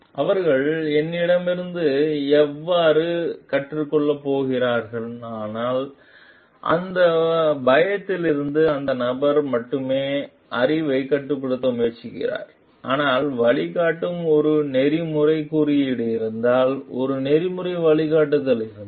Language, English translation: Tamil, If they are going to learn from me so, from that fear only the person is trying to restrict the knowledge, but if there is an ethical guideline, if there is an ethical code which guides like